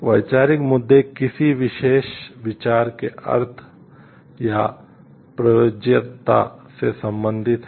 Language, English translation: Hindi, Conceptual issues deals with the meaning or meaning or applicability of a particular idea